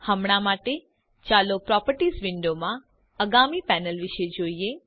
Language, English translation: Gujarati, Lets see the next panels in the Properties window